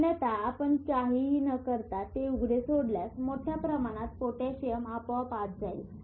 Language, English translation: Marathi, Otherwise if you just leave it open doing nothing, there are a lot of potassium outside